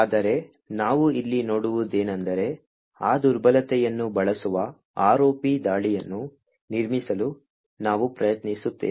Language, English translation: Kannada, But what we will see over here is, we will try to build an ROP attack which uses that vulnerability